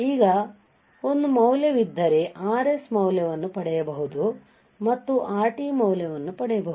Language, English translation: Kannada, Now, if there is there is a value then I can have value of R s and I can make value of Rt